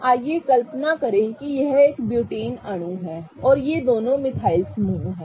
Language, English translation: Hindi, What I am going to do is, so let's imagine that this is a butane molecule and these two are the methyl groups